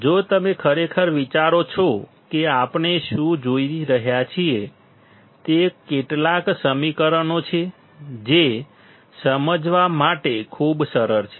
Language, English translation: Gujarati, If you really think what we are looking at; it is some equations which are so simple to understand